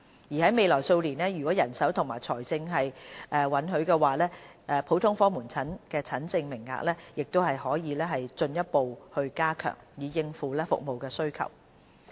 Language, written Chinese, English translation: Cantonese, 而在未來數年，如果人手和財政允許的話，普通科門診診症名額的增幅亦可進一步加強，以應付服務需求。, To cater for the demand for GOP services HA will further increase the consultation quotas in the next few years where manpower and financial position allow